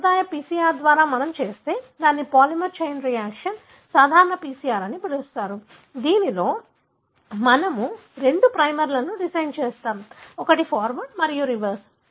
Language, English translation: Telugu, If we do it by the conventional PCR, that is called as polymerase chain reaction, routine PCR, wherein we design two primers, one is forward and the reverse